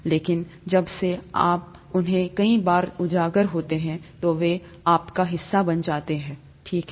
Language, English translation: Hindi, But since you are exposed to them so many times, they become a part of you, okay